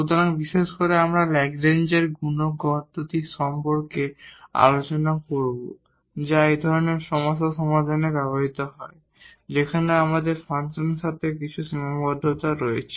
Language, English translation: Bengali, So, in particular we will be talking about the method of a Lagrange’s multiplier which is used to solve such problems, where we have along with the function some constraints